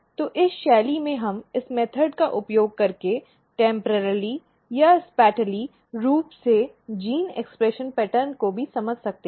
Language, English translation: Hindi, So, in this fashion we can use this method to temporarily or spatially understand the gene expression pattern also